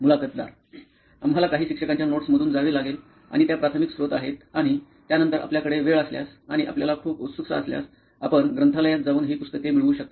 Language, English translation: Marathi, We have to go through some teacher's notes and those are the primary source and after that if you have time and if you are very much interested, you can go to the library and get these books